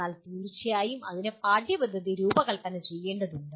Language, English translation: Malayalam, But of course that requires the curriculum redesigned